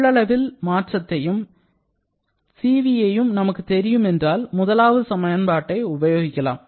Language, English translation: Tamil, If we know the change in volume and information about the Cv then we use the first one